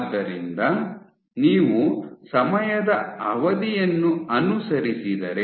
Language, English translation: Kannada, So, if you follow the time span